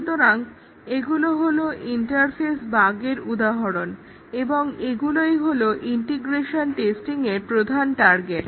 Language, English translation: Bengali, So, these are the examples of interface bugs and these are the target of integration testing